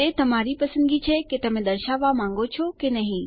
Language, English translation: Gujarati, Its your choice whether you want to display